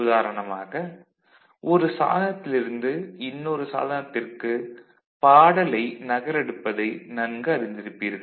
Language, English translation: Tamil, All of us are familiar with you know copying a song from one device to another device